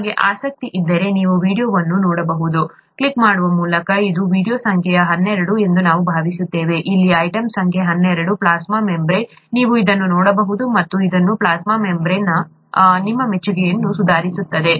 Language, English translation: Kannada, If you are interested, you could see this video, by clicking I think it is video number twelve, the item number twelve here, plasma membrane, you could see this, and that will improve your appreciation of the plasma membrane